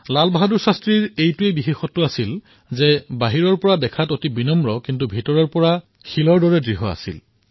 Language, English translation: Assamese, LalBahadurShastriji had a unique quality in that, he was very humble outwardly but he was rock solid from inside